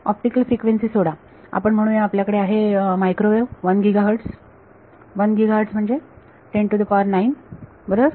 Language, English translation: Marathi, Forget optical frequency let us say you have at microwave 1 gigahertz, 1 gigahertz is 10 to the 9 right